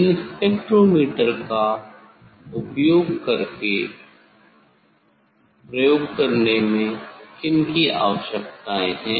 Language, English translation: Hindi, what are the requirements for doing experiment using these spectrometer